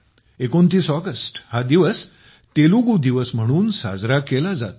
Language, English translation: Marathi, 29 August will be celebrated as Telugu Day